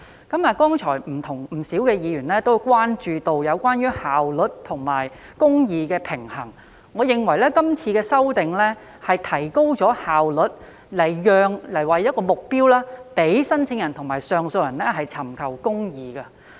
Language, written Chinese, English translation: Cantonese, 剛才不少議員也關注到效率和公義的平衡，我認為今次的修訂能提高效率，並以此作為目標，讓申請人和上訴人尋求公義。, Just now a number of Members have expressed concern about the need to strike a balance between efficiency and justice . I consider that the amendments this time around can help to improve the efficiency with the aim of enabling applicants and appellants to seek justice